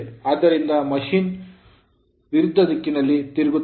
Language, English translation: Kannada, So, machine will rotate in the opposite direction right